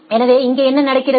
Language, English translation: Tamil, So, what is happening here